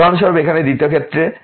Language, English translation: Bengali, In the second case here for example, this is case two